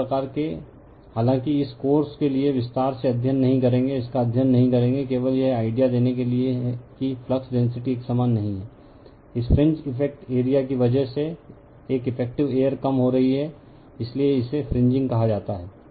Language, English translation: Hindi, So, this type of although we will not study in detail for this course, we will not study this, just to give an idea that flux density is not uniform right, an effective air because of this fringe effective your area is getting decrease right, so, this is called fringing